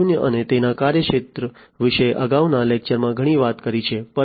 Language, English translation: Gujarati, 0 we have talked a lot in the previous lectures about Industry 4